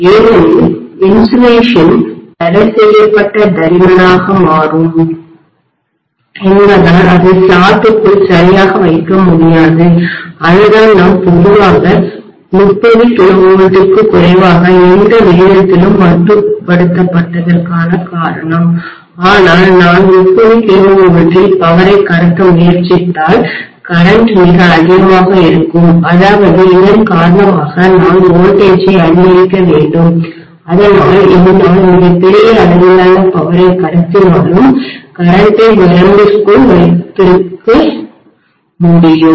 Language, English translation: Tamil, Because the insulation will become prohibitively thick, I will not be able to place it properly inside the slots and that is the reason why we generally limited to less than 30 kilovolts at any rate but if I try to transmit the power at 30 kilovolts the current will become enormously high, un handle able literally because of which I necessarily need to step up the voltage, so that I would be able to keep the current within limits despite, you know transmitting extremely large amount of power, right